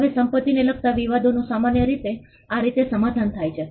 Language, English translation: Gujarati, Now disputes with regard to property is normally settled in this way